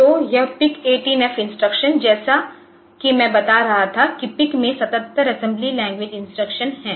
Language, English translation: Hindi, So, the PIC 8 it 18F instructions; So, as I was telling that there are 77 assembly language instructions in PIC